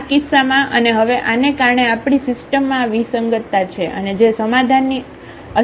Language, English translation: Gujarati, In this case and now because of this we have this inconsistency in the system and which leads to the nonexistence of the solution